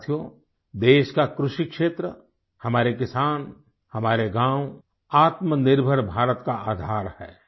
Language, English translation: Hindi, Friends, the agricultural sector of the country, our farmers, our villages are the very basis of Atmanirbhar Bharat, a self reliant India